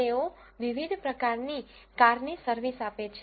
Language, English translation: Gujarati, They offer service to wide variety of cars